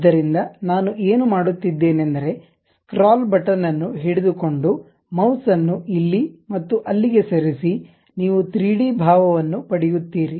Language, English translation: Kannada, So, what I am doing is click that scroll button hold it and move your mouse here and there, you will get the 3 dimensional appeal